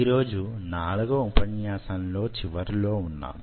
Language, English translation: Telugu, so today we end of the fourth lecture